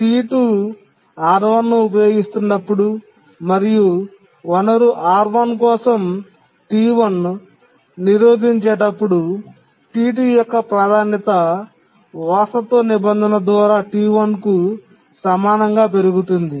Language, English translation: Telugu, When T2 is using R1 and T1 is blocking for the resource R1, T2's priority gets enhanced to be equal to T1 by the inheritance clause